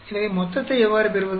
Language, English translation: Tamil, So, how do we get the total